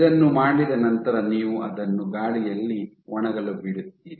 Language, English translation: Kannada, So, after doing this you let it air dry ok